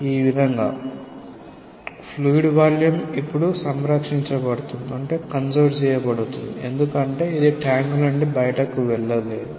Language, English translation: Telugu, In such a way, that the volume of the liquid now is conserved because it cannot go out of the tank